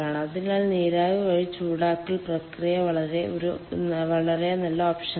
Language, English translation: Malayalam, so process heating by steam is a very good option